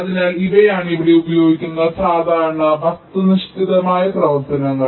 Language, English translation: Malayalam, so these are the typical objective functions which are used here